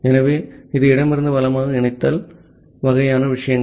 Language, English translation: Tamil, So, it is left to right associativity kind of things